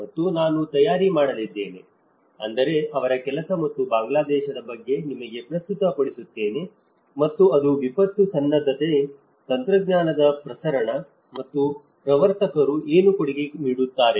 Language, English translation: Kannada, And I am going to prepare, I mean present you about his work and Bangladesh and that is on diffusion of disaster preparedness technology and what pioneers contribute